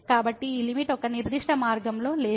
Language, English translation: Telugu, So, this is this limit is not along a particular path